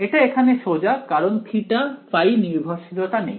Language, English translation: Bengali, It is easy here because there is no theta phi dependence